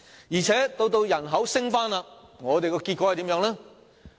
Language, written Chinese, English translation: Cantonese, 而且，當人口回升時，結果又是怎樣？, Moreover when the population rebounds what will happen in the end?